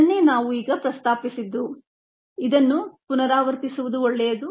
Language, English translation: Kannada, this is what we just mentioned when we it's a good to repeat this